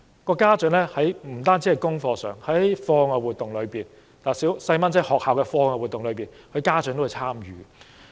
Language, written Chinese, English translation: Cantonese, 不單在功課上的參與，在孩子學校的課外活動中，很多家長也會參與。, Many parents not only help in monitoring their childrens schoolwork but also in extra - curricular activities in schools